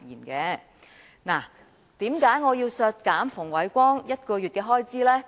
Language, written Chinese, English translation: Cantonese, 為何我要削減馮煒光1個月薪酬呢？, Why do I seek to deduct Andrew FUNGs remuneration for one month?